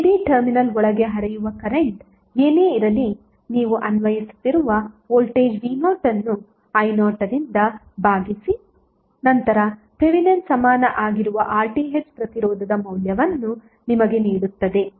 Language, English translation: Kannada, Whatever the current which is flowing inside the terminal a b divided the voltage which you are applying then v naught divided by I naught would be giving you the value of Thevenin equvalent resistance that is RTh